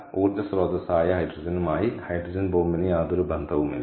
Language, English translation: Malayalam, ok, hydrogen bomb has nothing to do with hydrogen as energy source